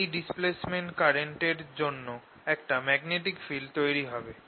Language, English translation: Bengali, because of this displacement current there's going to be field